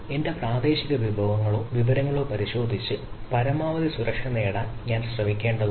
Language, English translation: Malayalam, so i need to, i need to look at my local resources or local information and try to have the maximum security